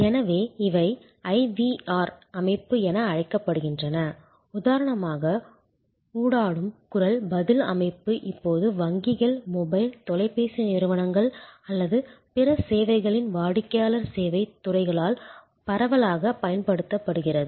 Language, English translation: Tamil, So, these are called IVR system as you know for example, Interactive Voice Response system widely use now by banks, by customer service departments of mobile, telephone companies or and various other services